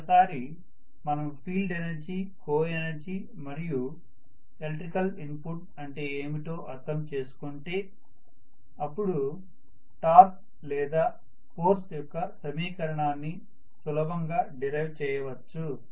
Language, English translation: Telugu, Once we understand field energy, coenergy and what is the electrical input it will be easy for us to derive the expression for the torque or force